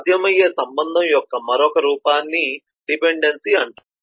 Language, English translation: Telugu, another form of relationship that is possible is known as dependency